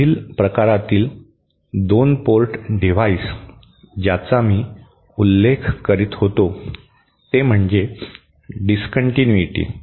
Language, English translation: Marathi, The next type of 2 port device that I was mentioning was a discontinuity